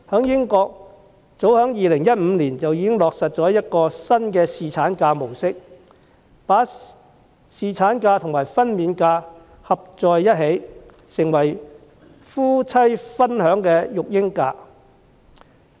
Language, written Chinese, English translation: Cantonese, 英國早於2015年便落實新的侍產假模式，把侍產假和分娩假組合在一起，成為夫妻分享的育嬰假。, Britain implemented a new paternity leave model in as early as 2015 and combined paternity leave and maternity leave into parental leave which could be shared between the husband and the wife